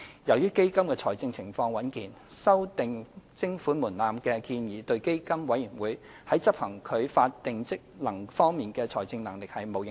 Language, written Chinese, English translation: Cantonese, 由於基金的財政狀況穩健，修訂徵款門檻的建議對基金委員會在執行其法定職能方面的財政能力並無影響。, Given the healthy financial position of the Fund the proposed amendment of levy threshold would not affect the financial viability of PCFB in discharging its statutory functions